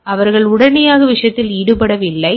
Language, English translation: Tamil, So, they are not immediately involved in the thing